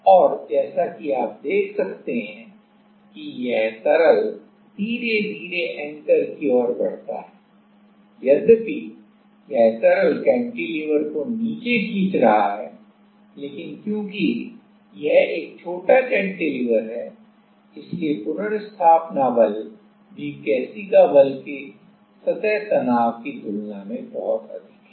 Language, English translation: Hindi, And, as you can see that slowly this liquid proceeds to the towards the anchor though this liquid is pulling the cantilever down, but as this is a short cantilever the restoring force is also a much higher than the like the surface tension the capillary force